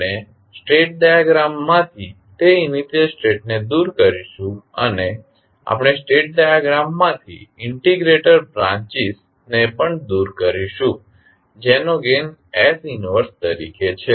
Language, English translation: Gujarati, We will remove those initially states from the state diagram, we also remove the integrator branches which have gain as 1 by s from the state diagram